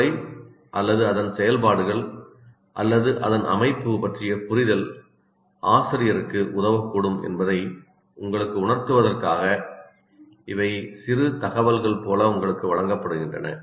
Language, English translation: Tamil, These are presented to you as a few bits to represent some of the findings from the brain research to convince you that an understanding of the brain or its functions or its structure can help the teacher better